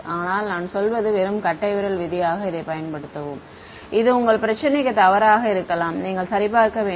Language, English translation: Tamil, But I mean just use this as a rule of thumb it may be wrong also for your problem you should check ok